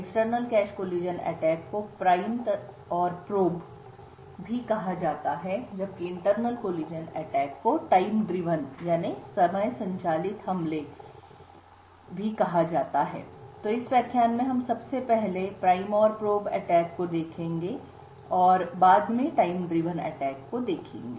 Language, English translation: Hindi, So external cache collision attacks are popularly known as prime and probe attacks, while internal collision attacks are known as time driven attacks, so in this lecture we will first start with a prime and probe attack and then we will look at time driven attack